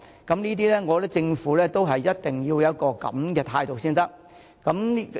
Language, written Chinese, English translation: Cantonese, 我認為政府一定要有這種態度才可以做到。, I believe that the Government can only succeed with such an attitude